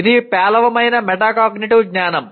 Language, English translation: Telugu, That is poor metacognitive knowledge